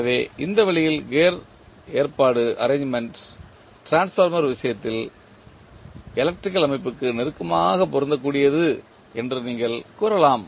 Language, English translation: Tamil, So, in this way you can say that the gear arrangement is closely analogous to the electrical system in case of the transformer